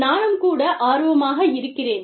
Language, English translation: Tamil, I would also be interested